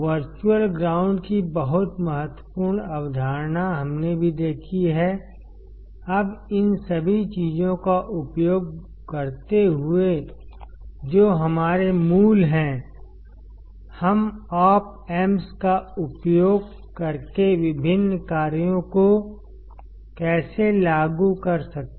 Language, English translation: Hindi, Very important concept of virtual ground we have also seen; now using all these things which are our basics how can we implement the different operations using op amps